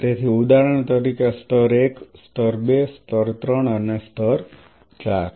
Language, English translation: Gujarati, So, for example, layer 1 layer 2 layer 3 layer 4